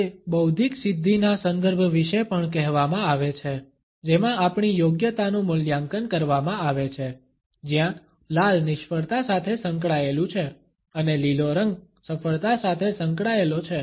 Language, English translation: Gujarati, It is said also about the intellectual achievement context in which our competence is evaluated, where red is associated with failure and green is associated with success